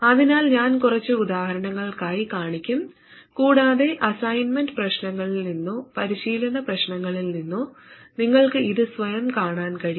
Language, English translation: Malayalam, So I will show it for a couple of examples and you can work it out yourself from assignment problems or activity problems and you can even create your own examples